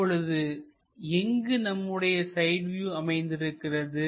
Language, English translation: Tamil, Now, where exactly we have this side view